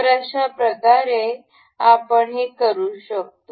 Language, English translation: Marathi, So, in this way we can